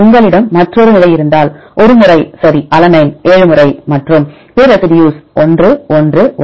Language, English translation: Tamil, One time right if you have another position for example, alanine 7 times, and any of the other residues 1 1 1